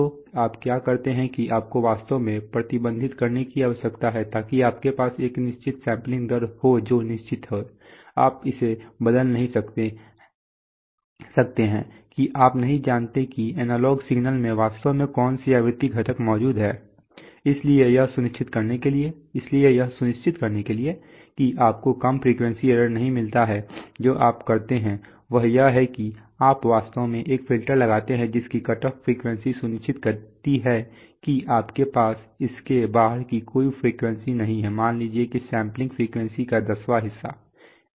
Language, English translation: Hindi, So therefore what you do, what you do is so now this leads to a concept so what you do is you actually need to restrict so you have a certain sampling rate which is fixed, you cannot change that you do not know what frequency components are actually present in the analog signal, so to make sure that you do not get low frequency errors what you do is you actually put a filter which whose cutoff frequency ensures that you have no frequencies beyond, let us say one tenth of the sampling frequency